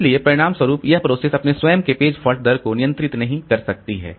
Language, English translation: Hindi, So, as a result, the process cannot control its own page fault rate